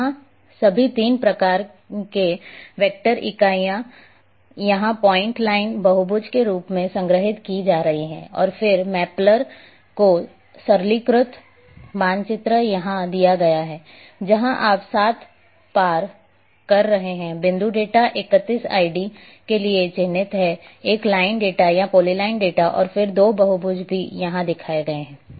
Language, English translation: Hindi, Here, all three types of vector entities are being stored here as point line polygon and one a mappler is simplified map is given here, where you are having the 7 crossed is marked for the point data 31 id is a line data or polyline data and then 2 polygons are also shown here